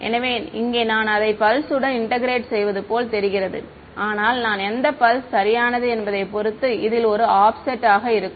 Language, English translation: Tamil, So, over here it looks like I am integrating over the same pulse yeah, but there will be an offset in this depending on which pulse I am in irght